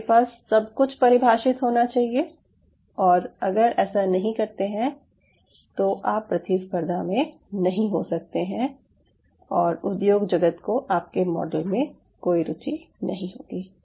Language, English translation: Hindi, you have to have everything defined, how close you are, because other than that you wont be able to compete or the industry will never be interested to take your model systems